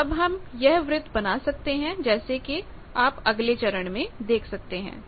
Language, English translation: Hindi, So, that circle is drawn then next step you see now